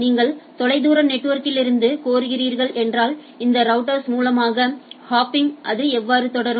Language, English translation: Tamil, So, if you are requesting from a far network so how it will go on hopping to through this router